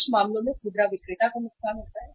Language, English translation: Hindi, In some cases there is a loss to the retailer